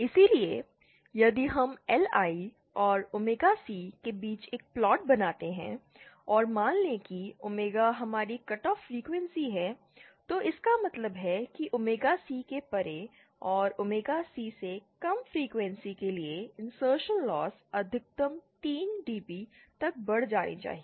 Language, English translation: Hindi, So, if we make a plot between LI and omegaC and suppose OmegaC is our cut off frequency, then it means that the insertion loss should increase to a maximum of 3 DB for frequencies less than omega C and beyond omega C, it would increase